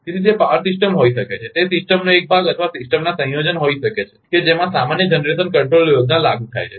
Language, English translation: Gujarati, So, it may be a power system, it may be a part of the system or a combination of system to which a common generation control scheme is applied